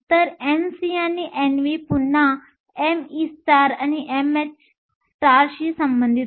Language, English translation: Marathi, So, N c and N v are again related to m e star and m h star